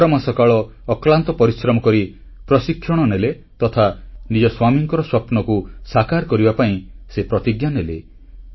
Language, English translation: Odia, She received training for 11 months putting in great efforts and she put her life at stake to fulfill her husband's dreams